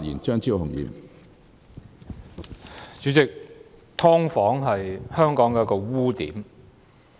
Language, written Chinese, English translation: Cantonese, 主席，"劏房"是香港的一個污點。, President subdivided units are a blot on good name of Hong Kong